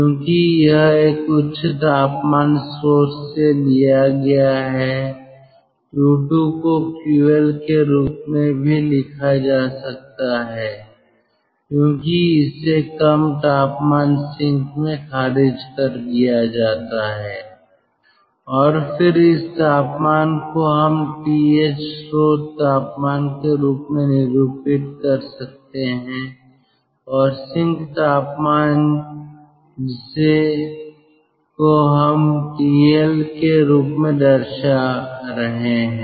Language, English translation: Hindi, q two can also be written as ql as it is rejected to a low temperature sink and then this temperature we can denote as th, source temperature, and the sink temperature we are denoting as tl